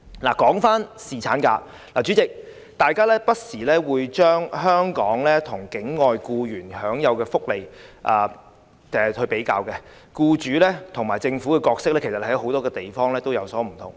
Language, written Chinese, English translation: Cantonese, 說回侍產假，代理主席，大家會不時把香港與境外僱員享有的福利比較，僱主及政府的角色在很多地方其實也有所不同。, Coming back to paternity leave Deputy President we often compare the employees benefits in Hong Kong with those in overseas countries . The roles of employers and the Government in many places are often different